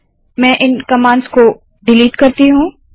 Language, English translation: Hindi, Let me delete these commands